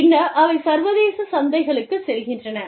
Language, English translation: Tamil, And then, they move on to, international markets